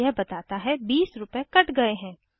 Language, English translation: Hindi, It says cash deducted 20 rupees